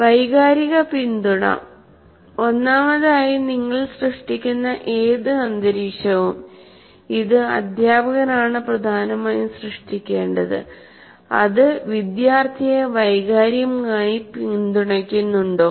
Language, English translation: Malayalam, First of all, whatever environment that you are creating, which is dominantly has to be created by the teacher, does the student find it emotionally supported